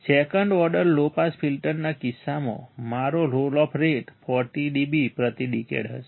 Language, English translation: Gujarati, In case of second order low pass filter, my roll off rate will be 40 dB per decade